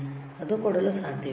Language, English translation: Kannada, It cannot give, right